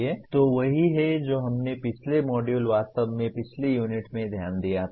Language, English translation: Hindi, So that is what we noted in the previous module, previous unit in fact